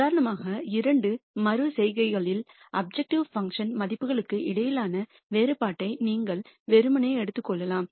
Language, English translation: Tamil, You could also simply take the difference between the objective function values in two iterations for example